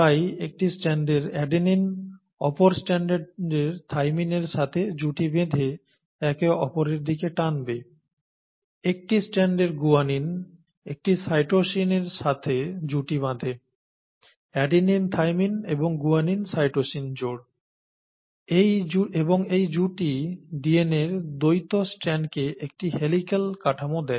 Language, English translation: Bengali, So the adenine on one will pair up with the cytosine of the other and pull it together and so on and so forth, the guanine of one pair with a cytosine adenine thymine, guanine cytosine pairing and this pairing gives the dual strands of the DNA a helical structure, okay